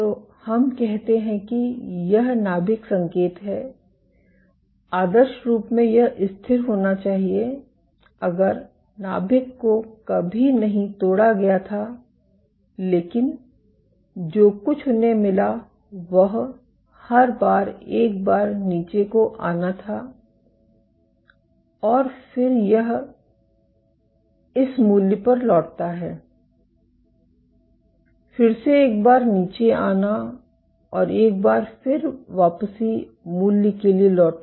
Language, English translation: Hindi, So, let us say this is the nuclear signal ideally this should be constant if the nuclei was never ruptured, but what they found was every once in a while they had a dip and then it returns to this value, again a dip and a return to the value